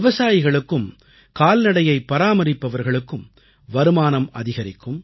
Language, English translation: Tamil, Farmers and cattle herders will be helped in augmenting their income